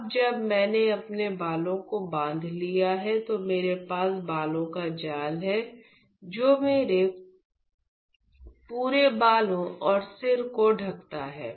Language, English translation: Hindi, So, now that I have tied my hair, I have the hair net which goes covering my complete hair and the head